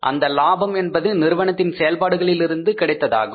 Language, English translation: Tamil, That part of the profit which is coming from the operations